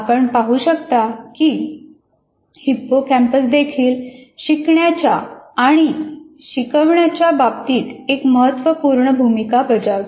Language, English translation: Marathi, So hippocampus, as you can see, plays also an important role in terms of teaching and learning